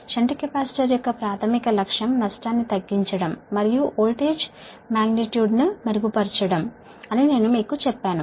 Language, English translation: Telugu, i told you there, primary objective of shunt capacitor is to reduce the loss and improve the voltage magnitude